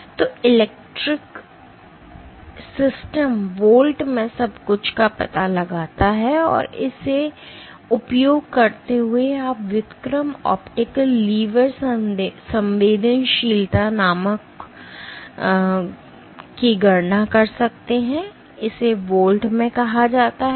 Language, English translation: Hindi, So, the electric system detects everything in volts, in volts and using so, you can calculate something called inverse optical lever sensitivity, this is called InVols